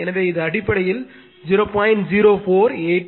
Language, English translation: Tamil, So, it is basically 0